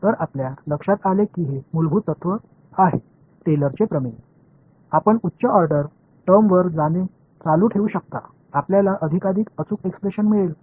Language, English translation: Marathi, So, you notice that this is the underlying principle is Taylor’s theorem, you can keep going to higher order term you will get more and more accurate expressions